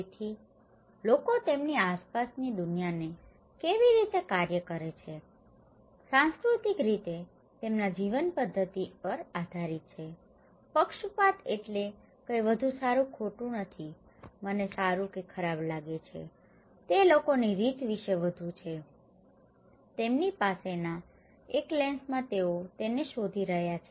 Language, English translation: Gujarati, So, how people perceive act upon the world around them depends on their way of life culturally, biased means nothing better wrong, I think good or bad, itís more about the way people, in one the lens they have, they are looking into it okay, the way people look into the outside world